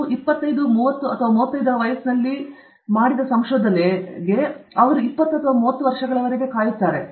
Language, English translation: Kannada, Whatever you figured out at the age of 25, 30 or 35, they will wait for 20 or 30 years